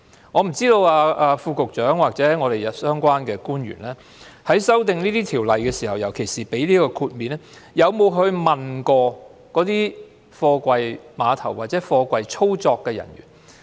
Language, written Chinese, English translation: Cantonese, 我不知道副局長或相關官員在修訂法例時，尤其是提供豁免方面，有否問過貨櫃碼頭的操作人員？, I wonder if the Under Secretary or the officials concerned have consulted the operators at container terminals when they proposed to amend the Ordinance especially in the giving of the exemption